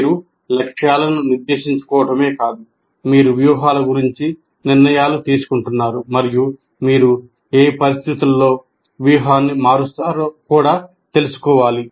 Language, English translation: Telugu, So not only you are setting goals, but you are making decisions about strategies and also under what conditions you will be changing the strategy